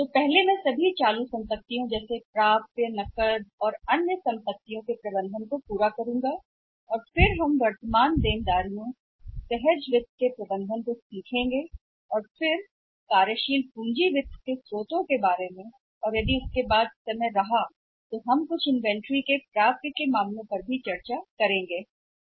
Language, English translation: Hindi, And first I will complete say the management of all the current assets like receivables cash other assets and then we will learn about the management of current liabilities, spontaneous finance and then the sources of working capital finance and after that we are still having the time that we can discuss some cases also one out maybe some cases on inventory or receivables